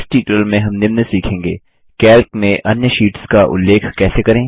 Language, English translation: Hindi, In this tutorial we will learn the following: How to reference other sheets in Calc